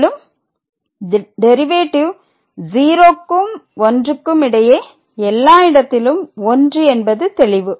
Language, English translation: Tamil, And, then we clearly see the derivative is 1 everywhere here between these two 0 and 1 open interval 0 and 1